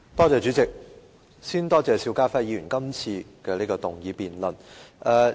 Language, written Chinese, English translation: Cantonese, 主席，我首先多謝邵家輝議員提出這項議案辯論。, President first of all I would like to thank Mr SHIU Ka - fai for proposing this motion debate